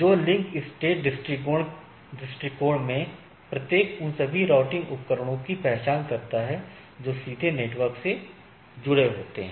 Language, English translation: Hindi, So, link state approach to determine network topology, if we look at; each router identifies all routing devices on the directly connected network right that is easy